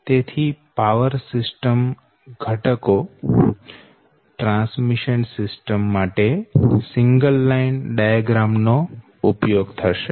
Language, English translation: Gujarati, so for transmission system will go for this thing, single line diagram